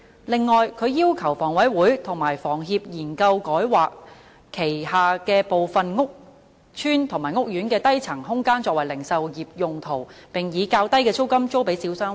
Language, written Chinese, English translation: Cantonese, 此外，他要求香港房屋委員會和香港房屋協會研究改劃其轄下部分屋邨及屋苑的低層空間作零售業用途，並以較低的租金租予小商戶。, Moreover he requests the Hong Kong Housing Authority and the Hong Kong Housing Society to study the re - assignment of spaces on the lower floors in some of their housing estates or courts for retail purposes and let such spaces to small shop operators at relatively low rentals